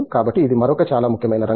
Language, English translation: Telugu, So, that’s another very important area